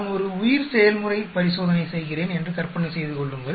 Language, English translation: Tamil, Imagine I am doing a bioprocess experiment